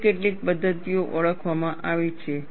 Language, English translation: Gujarati, Several models have been proposed